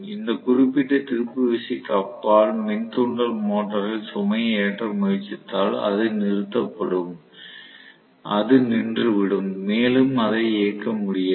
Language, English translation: Tamil, That is break down torque if you try to load the induction motor beyond this particular torque it will stop, it will stall, it will not be able to run any more